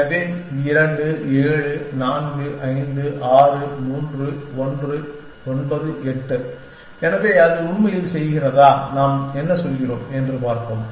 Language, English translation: Tamil, So, 2 7 4 5 6 1 3 9 8, so let us see whether it is really doing, what we are saying it is doing